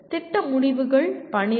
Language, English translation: Tamil, Program Outcomes are 12